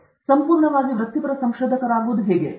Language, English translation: Kannada, How do we become a fully professional researcher